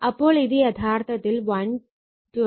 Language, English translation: Malayalam, So, it will become actually 120